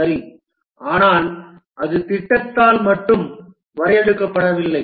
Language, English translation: Tamil, But then it's not defined by the project alone